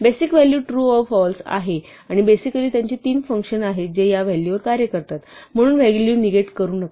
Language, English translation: Marathi, The basic values are true or false and typically there are three functions which operate on these values